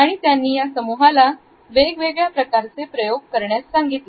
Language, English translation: Marathi, And then he had asked them to undergo different types of experimentations